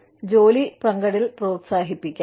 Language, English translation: Malayalam, You could, encourage job sharing